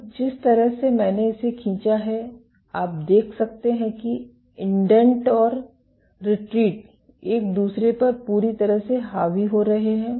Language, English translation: Hindi, So, the way I have drawn it, you can see that the indent and retract are completely overlaying on each other